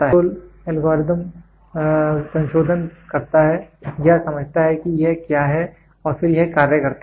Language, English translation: Hindi, Control algorithm does the modification or understands what is it then it actuates